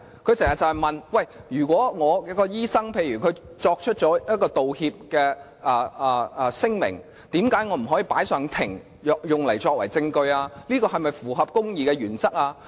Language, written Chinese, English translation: Cantonese, 她經常問，如果她的醫生作出道歉聲明，為何她不可以將之提交法庭作為證據？這是否符合公義原則？, She asked time and again why she could not submit to court as evidence the statement of apology made by her doctor